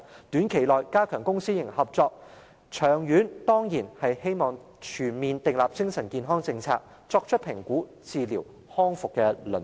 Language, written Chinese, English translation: Cantonese, 短期內應加強公私營合作，長遠而言則當然希望全面訂立精神健康政策，改善評估、治療和康復服務的輪候時間。, The Government should strengthen public - private partnership in the short term and it is of course our hope that a comprehensive mental health policy could be formulated in the long term so as to shorten the waiting time for assessment treatment and rehabilitation services